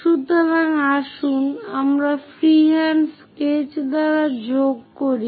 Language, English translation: Bengali, So, let us join by freehand sketch